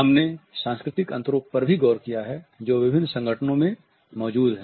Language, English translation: Hindi, We have also looked at the cultural differences the differences which exist in different organizations